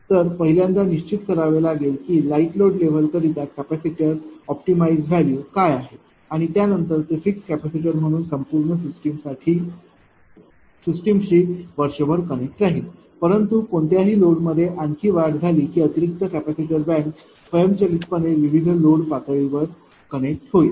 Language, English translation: Marathi, So, you have to first determine; what is the ah your ah capacitor optimize value at the light load level and that can be treated as a fixed capacitor which will remain connected to the system all through the year, but ah and any any load further increased that additional capacitor bank will automatically connected at various load level